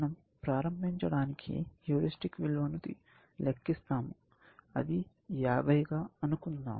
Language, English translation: Telugu, We compute the heuristic value, and let us say, it is 50, essentially, just to start with